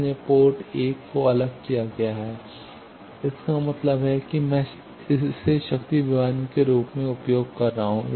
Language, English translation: Hindi, So, port 1 is isolated that means I can use it as a power divider